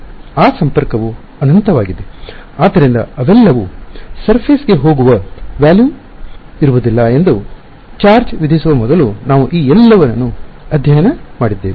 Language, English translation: Kannada, That connectivity is infinite therefore, we have studied all of this before it charges don’t reside in the volume they all go to the surface